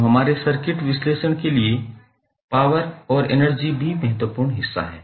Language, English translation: Hindi, So, the power and energy is also important portion for our circuit analysis